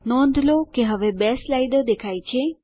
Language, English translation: Gujarati, Notice, that two slides are displayed now